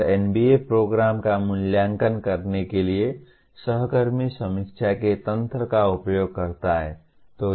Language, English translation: Hindi, And NBA uses the mechanism of peer review to evaluate the program